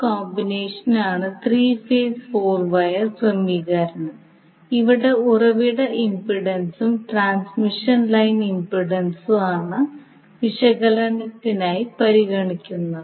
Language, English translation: Malayalam, So now you can see this particular combination is three phase four wire arrangement were the source impedance as well as the transmission line impedance is considered for the analysis